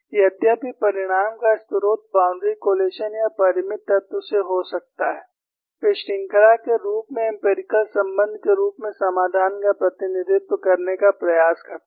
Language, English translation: Hindi, Though the source of the result may be from boundary collocation or finite element, they tried to represent the solution in the form of empirical relation, in the form of a series